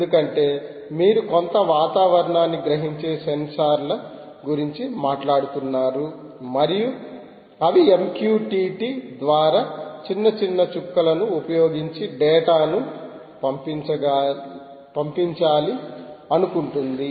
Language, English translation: Telugu, because you are talking about sensors which are sensing some environment and they want to push data using m q t t, small little dots